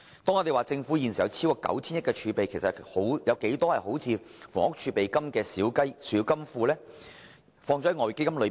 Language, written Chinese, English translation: Cantonese, 當我們說政府有超過 9,000 億元儲備時，其實還有多少個像房屋儲備金般的小金庫存放於外匯基金呢？, When it is said that the Government has a reserve of more than 900 billion how many more small coffers similar to the Housing Reserve are currently retained within the Exchange Fund?